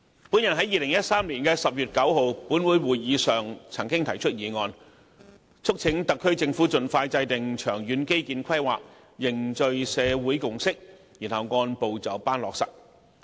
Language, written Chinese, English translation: Cantonese, 本人在2013年10月9日立法會會議上曾經提出議案，促請特區政府盡快制訂長遠基建規劃，凝聚社會共識，然後按部就班落實。, I moved a motion at the meeting of the Legislative Council on 9 October 2013 urging the SAR Government to expeditiously formulate long - term infrastructure planning forge a consensus in society and implement the plans step by step